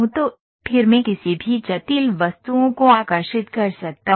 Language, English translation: Hindi, So, then I can draw any complex objects